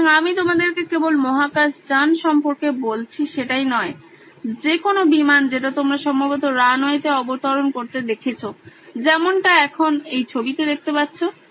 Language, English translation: Bengali, So, I am going to describe to you not only about space shuttle but also about any aeroplane that you probably have seen landing on a runway like what you see in your picture